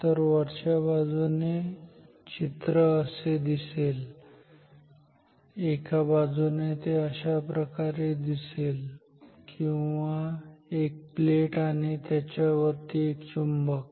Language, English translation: Marathi, So, from the top from this view side view this is the top view, from the side view it will look like this or plate and a magnet on top of it